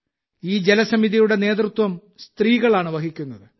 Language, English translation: Malayalam, The leadership of these water committees lies only with women